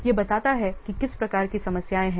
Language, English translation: Hindi, It possess what kinds of problems